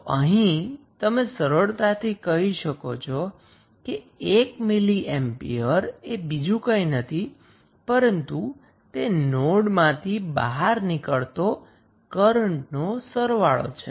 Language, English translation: Gujarati, So, what you can say you can say 1 milli ampere is nothing but the sum of current going outside the node